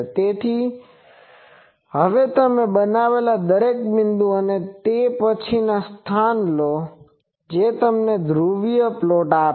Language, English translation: Gujarati, So, every point now you made, and then take a locus of that, that will give you the polar plot as this fellow is doing